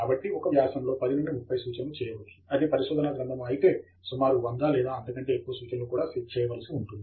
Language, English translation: Telugu, So, from 10 to 30 references may be made in an article, while about 100 or more references will be made in a thesis